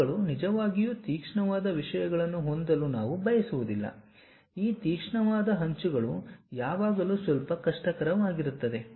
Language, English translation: Kannada, Edges we do not want to really have very sharp things, making these sharp edges always be bit difficult also